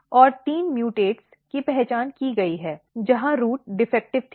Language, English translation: Hindi, And there was three mutates has been identified, where the root was defective